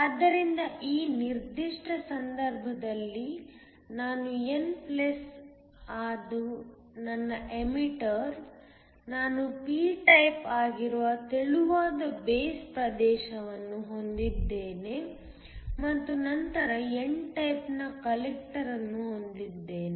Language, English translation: Kannada, So, In this particular case, I have an emitter that is n+that is my emitter, I have a thin base region that is p type and then have a collector that is n type